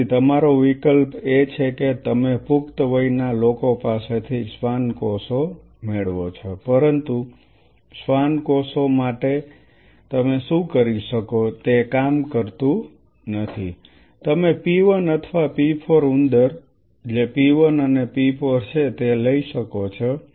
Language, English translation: Gujarati, So, your option is that you get a Schwann from adult which, but it does not work what you can do for Schwann cells you can take a p 1 or p 4 rat what is p 1 and p 4